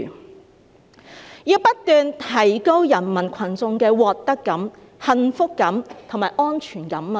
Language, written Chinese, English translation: Cantonese, "習近平說要不斷提高人民群眾的獲得感、幸福感和安全感。, XI Jinping said that citizens sense of gain happiness and security should continuously be enhanced